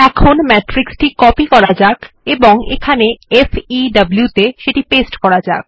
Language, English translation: Bengali, Let me copy the matrix and paste it in FEW